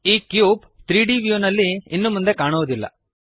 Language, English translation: Kannada, The cube is no longer visible in the 3D view